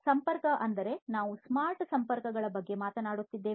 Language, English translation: Kannada, So, connection: so, we are talking about smart connections